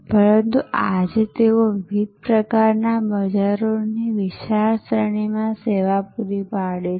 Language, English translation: Gujarati, But, today they are serving a very wide range of different types of markets